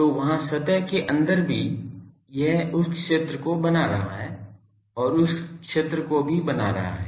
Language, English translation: Hindi, So, here inside the surface also it is producing that field outside also producing that field etc